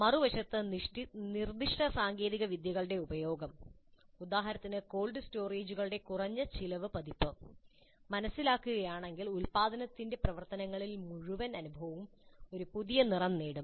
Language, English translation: Malayalam, On the other hand, if the purpose is to understand the use of specific technologies, say a low cost version of cold storages, if the purpose is to understand the use of specific technologies in their production activities, the whole experience would acquire a new hue